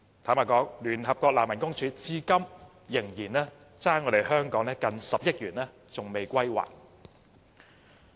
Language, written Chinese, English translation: Cantonese, 坦白說，聯合國難民署至今仍欠香港接近10億元未歸還。, Frankly to date the United Nations Refugee Agency still owes the Hong Kong Government almost 1 billion